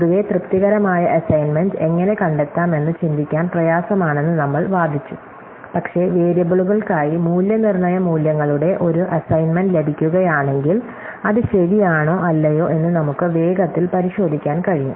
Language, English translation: Malayalam, So, in general, we argued that it is hard to think of how to find the satisfying assignment, but if we get an assignment of valuation, values for the variables, we can quickly check whether it makes true or not